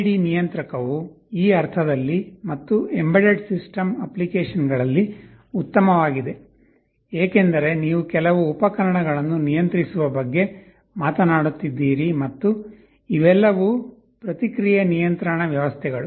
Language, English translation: Kannada, PID controller is good in this sense and in embedded system applications, because you are talking about controlling some appliances and all of these are feedback control systems